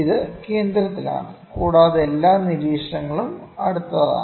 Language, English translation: Malayalam, It is at the centre and also the all the observations are close